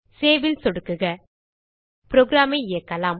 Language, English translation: Tamil, Click on Save Let us execute the program